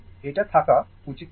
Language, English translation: Bengali, This should not be there